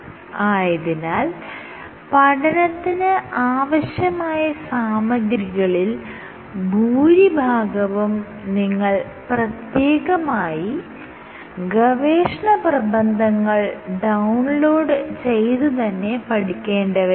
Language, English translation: Malayalam, So, most of the course material will come from research papers that you will have to download and read